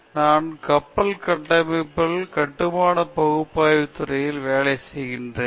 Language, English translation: Tamil, And I am working in the field of Ship Structures, structural analysis